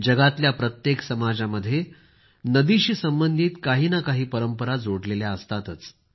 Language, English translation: Marathi, In every society of the world, invariably, there is one tradition or the other with respect to a river